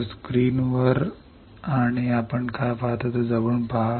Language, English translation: Marathi, So, have a closer look at the screen and what you see